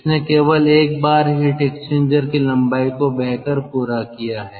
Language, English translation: Hindi, it has traversed the length of the heat exchanger only once